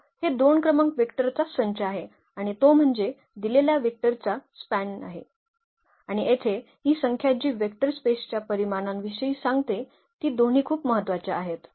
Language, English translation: Marathi, So, these two numbers are the basis that is the set of the vectors and that is that is span the given vector space and this number here which is which tells about the dimension of the vector space both are very important